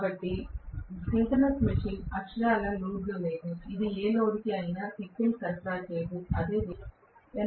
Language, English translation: Telugu, So the synchronous machine is literally on no load, it is not supplying any power to any of the loads, that is what it means right